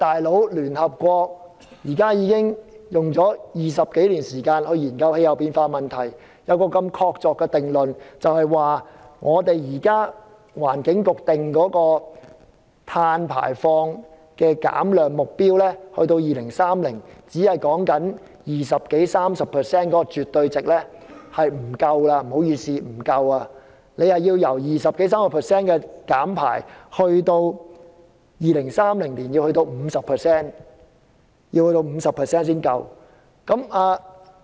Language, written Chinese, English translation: Cantonese, "老兄"，聯合國花了20多年時間研究氣候變化，得出這個確鑿定論，就是聯合國環境規劃署現時所訂定的碳排放減量目標，即在2030年減低百分之二十多三十的絕對值是絕不夠的，而必須在2030年減低 50% 才足夠。, Buddy the United Nations has spent more than 20 years on studying climate change and arrived at this concrete conclusion . IPCC has thus set down these carbon emission objectives that is it is not sufficient to reduce carbon emissions by 20 % to 30 % by 2030; it must be reduced by 50 % by 2030 . At present reduction of carbon emissions is done by changing the fuel for electricity generation